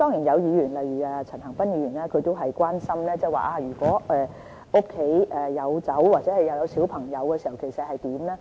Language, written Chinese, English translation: Cantonese, 有議員，例如陳恒鑌議員關心，如果家裏有酒又有小朋友會怎樣呢？, Certain Members such as Mr CHAN Han - pan are concerned about the situation when some families with children happen to have liquor at home